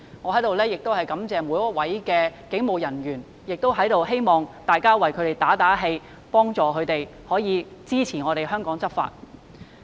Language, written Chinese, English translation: Cantonese, 我在此感謝每一位警務人員，同時亦希望大家為他們打打氣，幫助並支持他們為香港執法。, Here I express my gratitude to all police officers and hope everyone will buck them up and help them enforce the law for Hong Kong